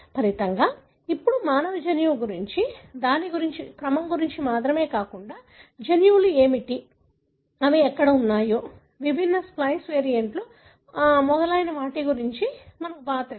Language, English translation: Telugu, So, as a result, now we know a great deal about our human genome, not only about its sequence, but we also know about what are the genes, where they are located, are there any different splice variants and so on